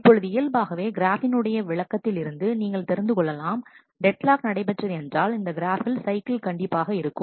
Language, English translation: Tamil, Now, naturally from the description of this graph, you can understand that a deadlock if a deadlock has to happen then this graph must have a cycle